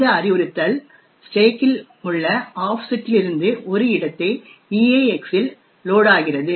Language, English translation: Tamil, This particular instruction loads from an offset in the stack into a location EAX